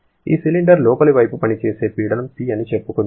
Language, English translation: Telugu, The pressure that is acting on the inner side of this cylinder is let us say is P